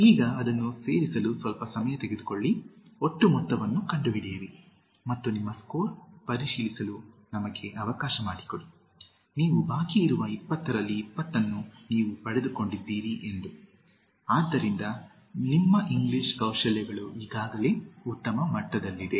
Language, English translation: Kannada, Now, take a quick minute to add it up, find out the total and let us go to check your score, if you have got 20 out of 20 you are outstanding, so your English Skills is already at a superior level